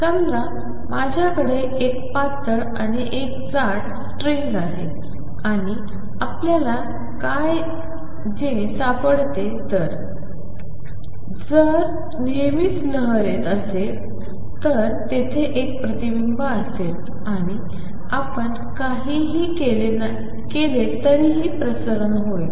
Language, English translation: Marathi, Suppose, I have a string a thin string and a thick string and what we find is; if there is a wave coming in always there will be a reflection and there will be some transmission no matter what you do